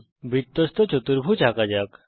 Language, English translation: Bengali, Let us construct a cyclic quadrilateral